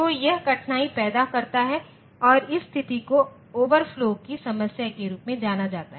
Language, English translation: Hindi, So, this creates difficulty and this situation is known as the problem of overflow